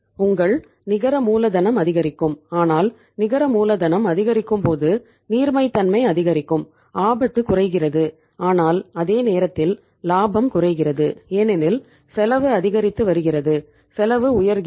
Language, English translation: Tamil, Your net working capital will increase but when the net working capital increases liquidity increases, risk decreases but at the same time profit also decrease because the cost is going up, cost is going up